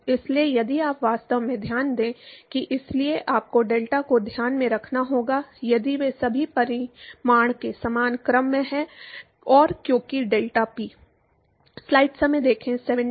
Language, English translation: Hindi, So, if you actually note that the; so, you have to factor of the delta into account, if all of them are equal order of magnitude and, because deltaP